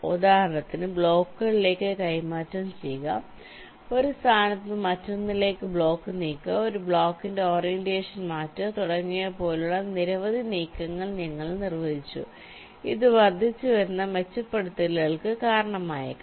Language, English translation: Malayalam, then you defined a number of moves, like, for example, exchanging to blocks, moving of block from one position to another, changing the orientation of a block, etcetera, which might resulting incremental improvements